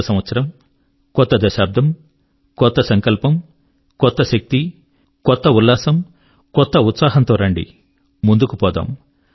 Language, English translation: Telugu, New Year, new decade, new resolutions, new energy, new enthusiasm, new zeal come let's move forth